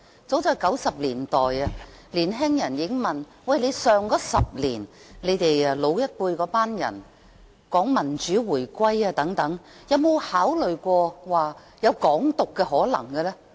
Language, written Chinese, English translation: Cantonese, 早在1990年代，有年輕人問我 ，10 年前的老一輩人常說民主回歸，不知他們有沒有考慮過港獨的可能性？, Back in the 1990s young people already asked me The older generation of the preceding decade often talked about the democratic return of Hong Kong have they ever considered the option of Hong Kong independence?